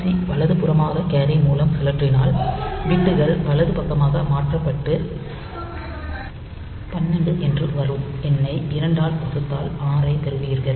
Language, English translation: Tamil, On the other hand, if you do RRC right rotate right through carry then the bits gets shifted towards the right side and you get the number 12 divided by 2, so get 6